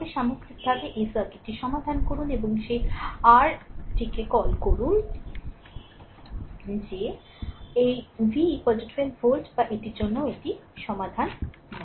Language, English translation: Bengali, As a whole you solve this circuit, and find out that your what you call that this v is equal to 12 volt or not this is also solve for